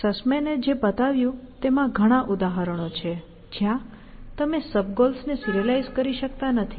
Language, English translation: Gujarati, What Sussman showed was that there are examples where, you just cannot serialize the sub goals